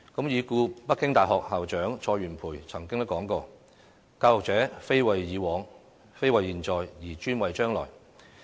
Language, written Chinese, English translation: Cantonese, 已故北京大學校長蔡元培曾經說過："教育者，非為已往，非為現在，而專為將來。, CAI Yuanpei the late President of the Peking University once said Education is not for the past not for the present but particularly for the future